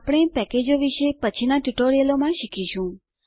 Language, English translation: Gujarati, We will learn about packages in the later tutorials